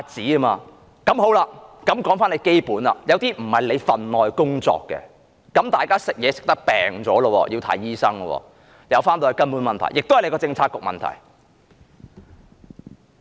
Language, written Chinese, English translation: Cantonese, 有些問題本來不是局長的分內工作，大家因為吃東西而患病，需要看醫生，最後還是她政策局的問題。, Some issues should not have been under the Secretarys portfolio . People get sick because of the food they eat then they have to see a doctor and this eventually comes under her Bureaus portfolio